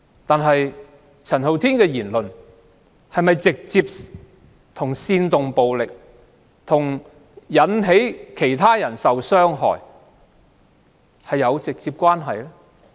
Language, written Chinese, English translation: Cantonese, 但是，陳浩天的言論與煽動暴力、引致其他人受到傷害有否直接關係？, Are Andy CHANs remarks directly related to inciting violence and causing harm to others?